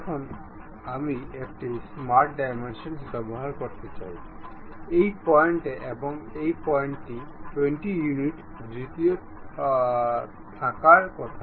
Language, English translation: Bengali, Now, I would like to use smart dimension, this point and this point supposed to be at 20 units of distance, done